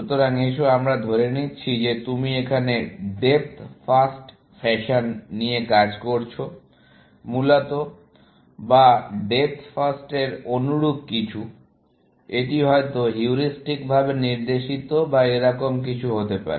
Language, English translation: Bengali, So, let us say that you are working in a depth first fashion, essentially, or something similar to depth first where, this may be, heuristically guided or something, like that